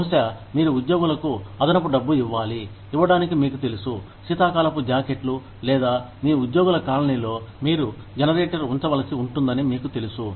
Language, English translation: Telugu, Maybe, you need to give the employees extra money, to stay warm for, you know, winter jackets or, maybe, you know, you may need to put a generator, in your employees